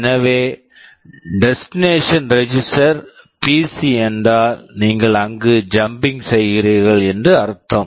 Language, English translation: Tamil, So, if the destination register is PC it means you are jumping there